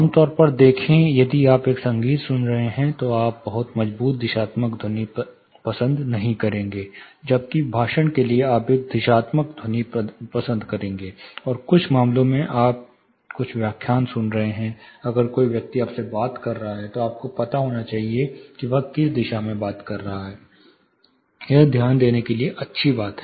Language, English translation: Hindi, See typically if you are listening to a music you will not prefer a very strong directional sound; whereas, for speech you will prefer a directional sound, and in some cases say you are listening some lectures one to one, if a person is talking you should know the direction from which he is talking, it gives you know more attention to be paid